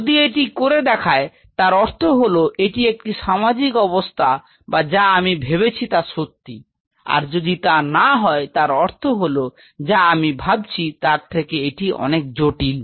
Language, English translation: Bengali, If it does so that means, whatever I am seeing in this milieu or whatever is my guess is true, if it is not that it means it is much more complex than I am understanding